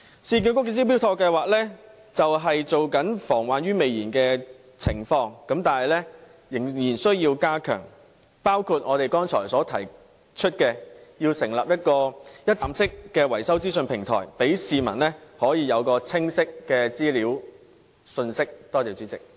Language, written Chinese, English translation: Cantonese, 市建局的"招標妥"計劃便是防患於未然的工作，但仍然需要加強，方法包括我剛才提出成立的一站式維修資訊平台，讓市民有清晰的資料和信息。, The Smart Tender scheme of URA is a preventive initiative but the scheme needs to be enhanced by among others establishing a one - stop maintenance information platform as I proposed earlier to provide the public with clear data and information